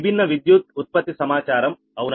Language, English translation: Telugu, different power generation data, right